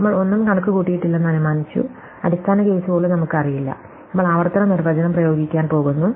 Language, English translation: Malayalam, We have assumed that we have computed nothing, we do not even know the base case, we are just going to apply the recursive definition